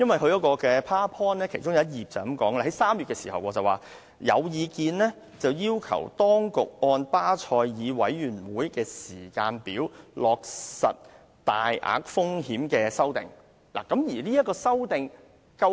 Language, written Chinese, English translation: Cantonese, 其中一張投影片提到，有意見要求當局按巴塞爾委員會的時間表落實大額風險承擔框架的修訂。, It was mentioned in one of the slides that there was a view requesting the authorities to align the amendment to the large exposures framework with the timetable of the Basel Committee on Banking Supervision BCBS